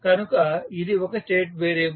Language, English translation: Telugu, So, what we do in state variable model